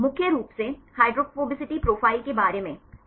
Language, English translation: Hindi, Mainly about hydrophobicity profiles right